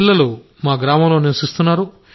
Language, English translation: Telugu, My children stay in the village